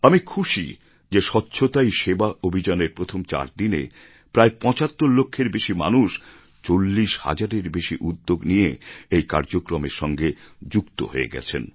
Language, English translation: Bengali, It is a good thing and I am pleased to know that just in the first four days of "Swachhata Hi Sewa Abhiyan" more than 75 lakh people joined these activities with more than 40 thousand initiatives